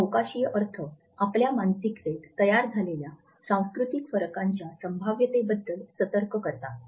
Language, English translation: Marathi, These spatial connotations alert us to the possibility of cultural differences which are in built in our psyche